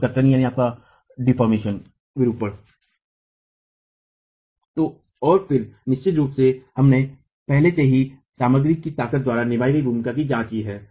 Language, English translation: Hindi, And then of course we have already examined the role played by the material strengths